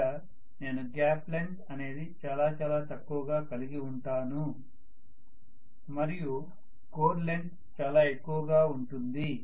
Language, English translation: Telugu, So I am going to have the gap length to be really really small whereas the actual core length is going to be much larger